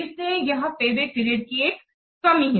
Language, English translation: Hindi, So this is one of the drawback of the payback period